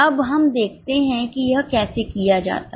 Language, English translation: Hindi, Now let us see how it is done